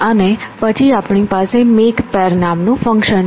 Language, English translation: Gujarati, And then we have a function called make pairs